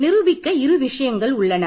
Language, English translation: Tamil, So, I am going to prove this